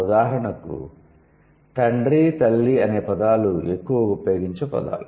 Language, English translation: Telugu, For example father, mother, so these are most frequently used terms